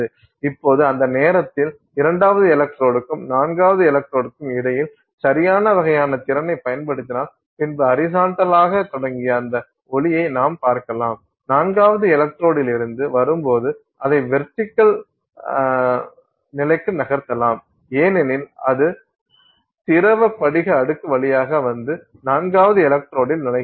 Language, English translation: Tamil, So, so now by the time, so between the second electrode and the fourth electrode, if you apply the correct kind of potential then you will find that light that was that started of horizontal you can orient it to vertical condition as it comes off the fourth electrode as it comes through the liquid crystal layer and enters the fourth electrode